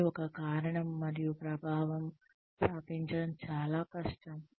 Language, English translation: Telugu, And, it is very difficult to establish, a cause and effect